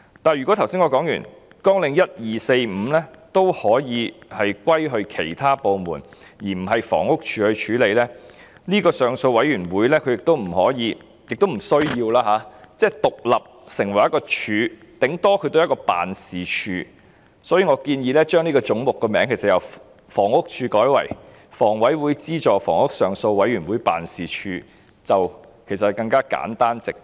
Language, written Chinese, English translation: Cantonese, 不過，正如我之前提及，綱領1、2、4及5均可歸入其他部門，而不是由房屋署負責，如此一來，這個上訴委員會便不可以、亦不需要獨立成為一個"署"，最多只是一個辦事處，所以我建議將這個總目的名稱由"房屋署"改為"香港房屋委員會資助房屋上訴委員會辦事處"，其實會更簡單直接。, Yet as I have mentioned before Programmes 1 2 4 and 5 can be handed over to other departments instead of being taken charge by HD . Such being the case this Appeal Panel should not and does not need to be an independent department; it should merely be an office at most . As a result I suggest that the Head Housing Department should be renamed as Office of the Appeal Panel on Subsidized Housing of the Hong Kong Housing Authority which will actually make it simpler and more straightforward